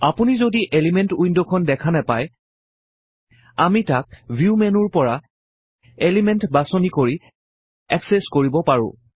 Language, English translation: Assamese, If you dont see the Elements window, we can access it by clicking on the View menu and then choosing Elements